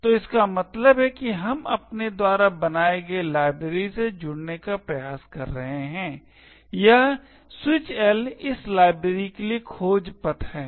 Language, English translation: Hindi, So, this means that we are trying to link to the library that we have created, this minus capital L is the search path for this particular library